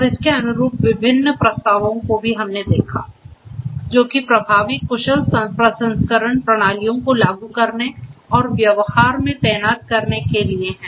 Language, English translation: Hindi, And the different proposals correspondingly that are there; in order to implement effective efficient processing systems to be implemented and deployed in practice